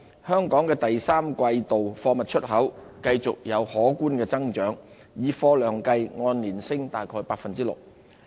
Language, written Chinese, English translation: Cantonese, 香港第三季度的貨物出口繼續有可觀增長，以貨量計按年升約大概 6%。, In the third quarter the exports of goods from Hong Kong picked up further with a visible growth of around 6 % year - on - year in volume terms